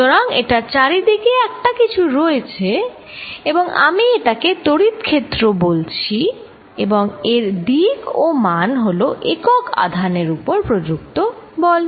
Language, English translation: Bengali, So, this exist something around it that I am calling the electric field and it is direction and magnitude is given by force is applied on a unit charge